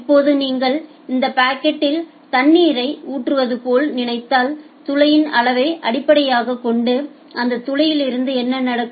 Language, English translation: Tamil, Now if you just think of like pouring water in that bucket what will happen like from that hole based on the size of the hole you will get the output at a constant rate